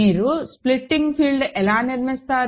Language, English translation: Telugu, So, how do you construct the splitting field